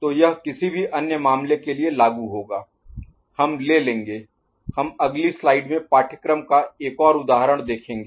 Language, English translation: Hindi, So, it will apply for a any other case, we shall take, we can look at another example of course in the next slide